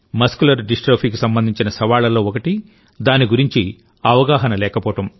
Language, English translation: Telugu, A challenge associated with Muscular Dystrophy is also a lack of awareness about it